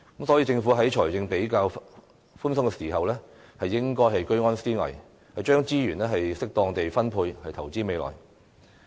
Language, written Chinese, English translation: Cantonese, 所以，政府在財政比較寬鬆時應該居安思危，將資源適當地分配，投資未來。, For this reason when the Government is in a sound financial position it should think of danger in times of safety and allocate resources appropriately for investing for the future